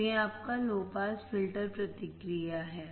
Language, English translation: Hindi, So, this is your low filter low pass filter response